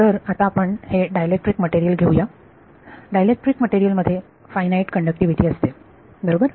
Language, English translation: Marathi, So, now let us take a, this is a dielectric material; dielectric material has finite conductivity right